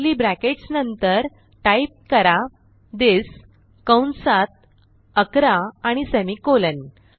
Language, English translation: Marathi, After curly brackets type this within brackets 11 and semicolon